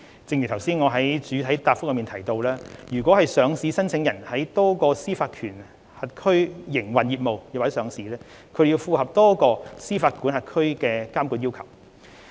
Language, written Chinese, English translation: Cantonese, 正如我剛才在主體答覆中提到，若上市申請人在多個司法管轄區營運業務或上市，便須符合多個司法管轄區的監管要求。, As I mentioned in the main reply just now if listing applicants operate their business or list in multiple jurisdictions they have to comply with the regulatory requirements of multiple jurisdictions